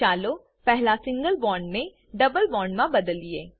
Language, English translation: Gujarati, Lets first convert single bond to a double bond